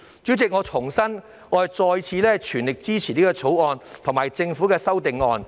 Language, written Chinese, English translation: Cantonese, 主席，我重申，我全力支持《條例草案》及政府的修正案。, President I reiterate my full support for the Bill and the amendments proposed by the Government